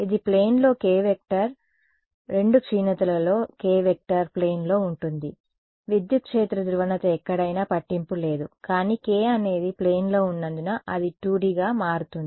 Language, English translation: Telugu, It in the plane the k vector is in the plane in the 2 decays k vector is in the plane, the electric field polarization can be anywhere does not matter, but k is in the plane that is what makes it a 2D